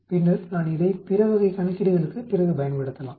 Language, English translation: Tamil, Then I can use it further for other type of calculation later